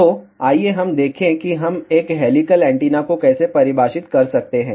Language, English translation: Hindi, So, let us see, how we can define a helical antenna